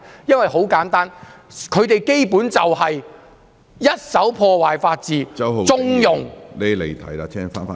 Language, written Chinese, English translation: Cantonese, 原因很簡單，他們根本就是在破壞法治，縱容......, The reason for that is simple they actually are trying to destroy the rule of law and to connive